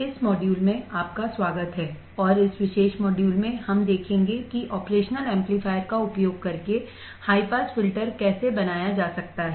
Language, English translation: Hindi, So, welcome to this module and in this particular module, we will see how the high pass filter can be designed using the operational amplifier